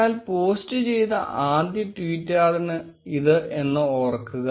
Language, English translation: Malayalam, Remember that this is the first tweet, which you posted